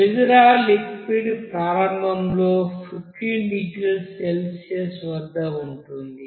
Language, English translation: Telugu, The glycerol solution is initially at 15 degrees Celsius